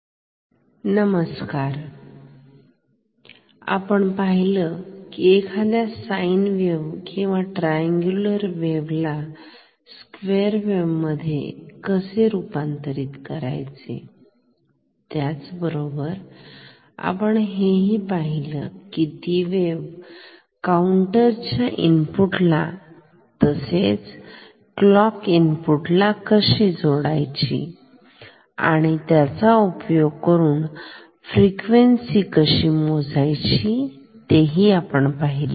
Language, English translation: Marathi, Hello, in the last class we have seen how to convert a sine wave or a triangular wave into a square wave which can be applied at the input of a clock, at the input of a counter so that we can measure the frequency